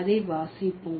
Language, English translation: Tamil, Let's read it out